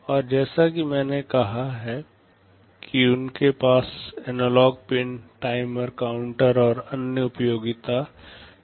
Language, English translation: Hindi, And as I have said they have analog pins, timers, counters and other utility circuitry